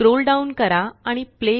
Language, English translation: Marathi, Scroll down and click Play